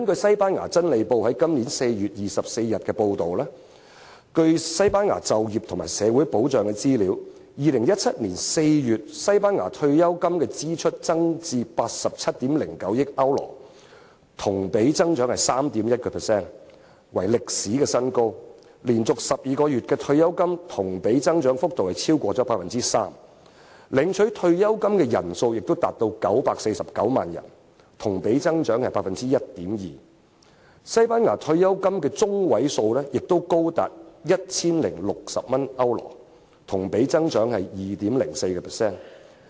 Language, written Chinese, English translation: Cantonese, 西班牙《真理報》於本年4月24日報道，據西班牙就業和社會保障的資料顯示 ，2017 年4月，西班牙的退休金支出增至87億900萬歐羅，同比增長 3.1%， 創歷史新高；連續12個月的退休金同比增長幅度超過 3%； 領取退休金的人數亦多達949萬人，同比增長 1.2%； 西班牙退休金的中位數亦高達 1,060 歐羅，同比增長 2.04%。, It was reported on 24 April 2017 in Pravda a Spanish newspaper According to Spains employment and social security data as at April 2017 Spains pension expense rose to a record high of €8.79 billion representing a year - on - year increase of 3.1 % ; a month - on - month increase of over 3 % for 12 consecutive months in pension payable was recorded; the number of pensioners also went up to 9.49 million representing a year - on - year increase of 1.2 % ; the median pension of Spain reached €1,060 representing a year - on - year increase of 2.04 %